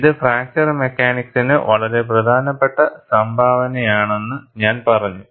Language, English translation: Malayalam, And I said, it is a very important contribution to fracture mechanics